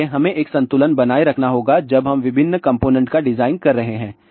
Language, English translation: Hindi, So, we have to maintain a balance when we are doing the design of different component